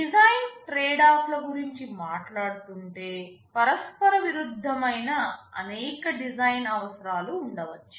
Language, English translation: Telugu, Talking about design tradeoffs, there can be several design requirements that are mutually conflicting